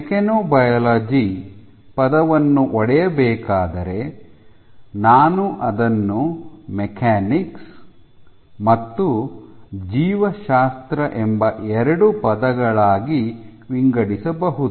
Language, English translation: Kannada, So, if you have to break down mechanobiology I can break it into two terms mechanics plus biology